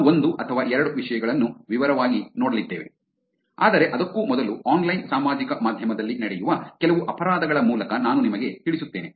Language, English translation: Kannada, We are going to look at one or two topics in detail, but before that let me just walk you through some crimes that happen on online social media